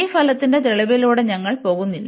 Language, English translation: Malayalam, So, we will not go through the proof of this result